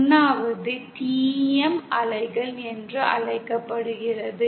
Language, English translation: Tamil, 1st one is called TEM waves